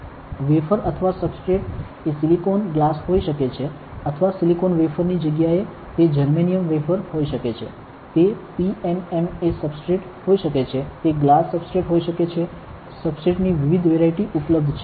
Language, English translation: Gujarati, The wafer or the substrate may be silicon, glass or it can be instead of silicon wafer it can be a germanium wafer, it can be a PMMA substrate, it can be glass substrate lot of different varieties of substrates are available